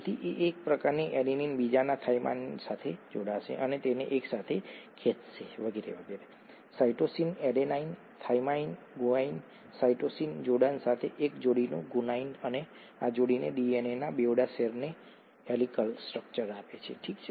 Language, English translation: Gujarati, So the adenine on one will pair up with the cytosine of the other and pull it together and so on and so forth, the guanine of one pair with a cytosine adenine thymine, guanine cytosine pairing and this pairing gives the dual strands of the DNA a helical structure, okay